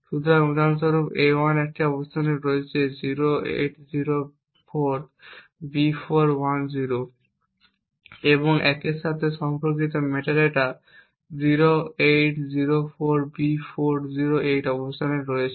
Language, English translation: Bengali, So, for example a1 is at a location 0804B410 and the metadata corresponding to a 1 is at the location 0804B408